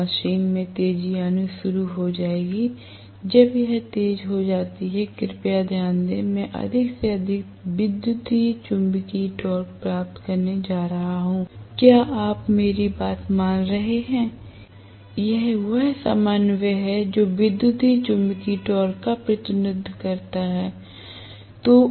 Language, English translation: Hindi, So, the machine will start accelerating, as it accelerates please note that I am going to get more and more electromagnetic torque, are you getting my point this is the ordinate which represents the electromagnetic torque